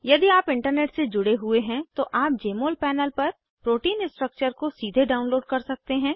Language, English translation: Hindi, If you are connected to Internet, you can directly download the protein structure on Jmol panel